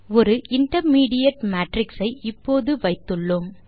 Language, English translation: Tamil, We can see that we have intermediate matrix